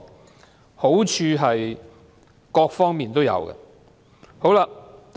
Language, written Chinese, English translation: Cantonese, 答案是在各方面皆有好處。, Yes there will be benefits in different areas